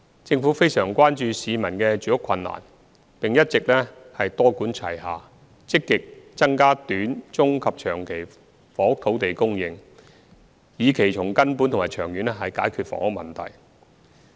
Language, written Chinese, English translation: Cantonese, 政府非常關注市民的住屋困難，並一直多管齊下，積極增加短、中及長期房屋土地供應，以期從根本和長遠解決房屋問題。, The Government is greatly concerned about the housing difficulties faced by the public and has been actively increasing housing land supply in the short medium and long term through a multi - pronged approach so as to fundamentally solve the housing problems in the long run